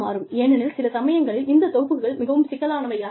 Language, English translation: Tamil, Because, sometimes, these packages are very complex